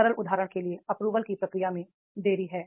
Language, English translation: Hindi, For a simple example is delay in process of approval